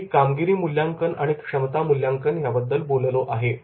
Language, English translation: Marathi, I have talked about the performance appraisal and potential appraisal